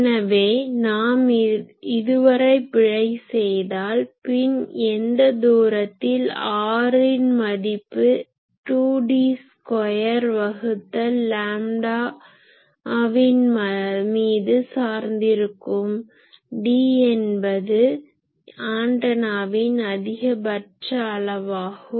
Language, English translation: Tamil, So, up to this if we commit the error then at what distance this happen that depends on actually that r is 2 D square by lambda, where D is the maximum dimension of the antenna